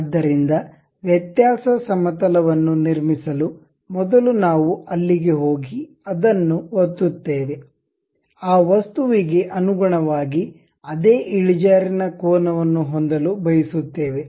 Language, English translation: Kannada, So, to construct the difference plane, first we will go there click; this is the object and with respect to that some inclination angle we would like to have